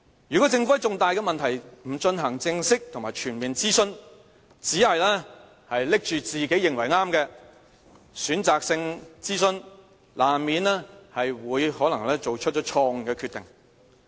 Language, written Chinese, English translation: Cantonese, 如果政府在重大的問題不進行正式和全面諮詢，只是拿着自己認為對的選擇性諮詢，難免會作出錯誤的決定。, Wrong decisions are unavoidable if the Government would rather carry out a selective consultation on its preferred proposal than a formal and comprehensive consultation